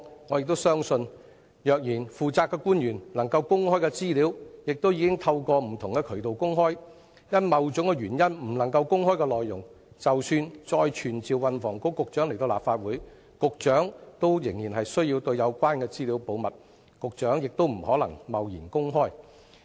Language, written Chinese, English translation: Cantonese, 我亦相信，能夠公開的資料，負責的官員已經透過不同的渠道公開；因某種原因而不能公開的內容，局長即使再被傳召到立法會，仍然需要保密，不可能貿然公開。, We think that it is unnecessary to do so . I also believe that the information which can be released has already been released by the officials in charge through various channels while the content of that which cannot be released due to certain reasons will still need to be kept confidential and cannot be released imprudently even if the Secretary is summoned before the Council again